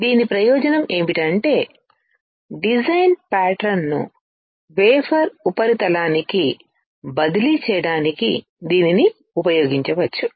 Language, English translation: Telugu, The advantage of this is that it can be used to transfer the design pattern to the wafer surface